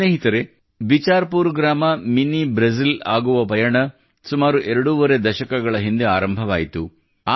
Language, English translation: Kannada, Friends, The journey of Bichharpur village to become Mini Brazil commenced twoandahalf decades ago